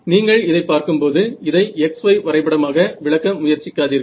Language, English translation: Tamil, So, when you see this do not try to interpret this as a x y plot right